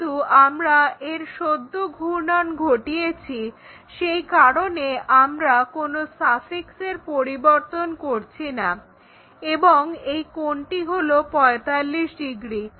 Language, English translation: Bengali, So, that is the reason we are not changing any other suffixes and this angle is 45 degrees